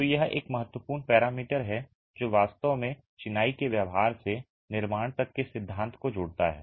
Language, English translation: Hindi, So, this is an important parameter that really links the theory from the behavior of masonry to construction